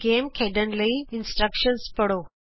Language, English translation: Punjabi, Read the instructions to play the game